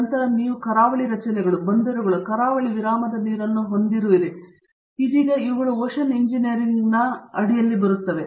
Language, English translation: Kannada, Then you have the coastal structures, ports, harbours, coastal break waters so all these have now come under the Umbrella of Ocean Engineering